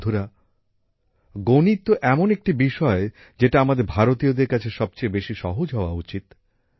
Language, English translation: Bengali, Friends, Mathematics is such a subject about which we Indians should be most comfortable